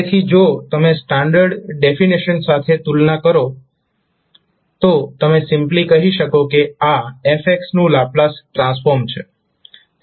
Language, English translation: Gujarati, So if you compare with the standard definition you can simply say that this is the Laplace transform of fx